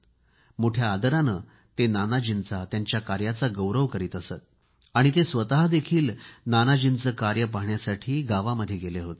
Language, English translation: Marathi, He used to mention Nanaji's contribution with great respect and he even went to a village to see Nanaji's work there